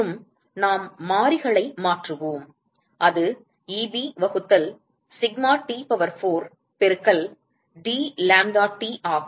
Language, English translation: Tamil, And that will be, we change the variables and that will be Eb divided by sigma T power 4 into dlambdaT